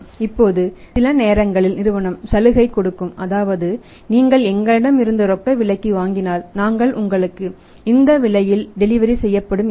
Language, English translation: Tamil, Now sometimes company gives the offer that ok if you want to buy from us on cash will pay you delivery at this price